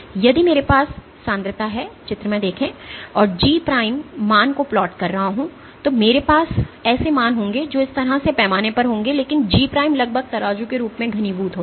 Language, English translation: Hindi, So, I have if I have concentration and I am plotting G prime value I will have values which will scale like this, but G prime roughly scales as concentration cubed